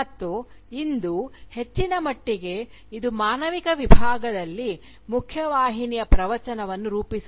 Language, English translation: Kannada, And, today, to a large extent, it shapes the mainstream discourse within humanities